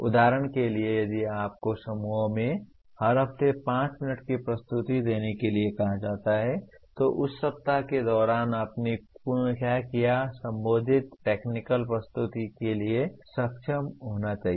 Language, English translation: Hindi, For example if you are asked to make a 5 minute presentation every week to the group what exactly that you have done during that week, you should be able to make the corresponding technical presentation